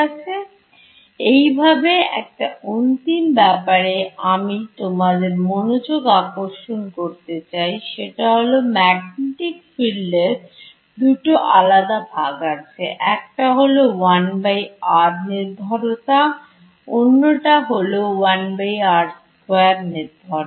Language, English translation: Bengali, So, just; so, one last thing I’d like to draw your attention to is that there are two different parts of this magnetic field, one has a 1 by r dependence and the other has a 1 by r square difference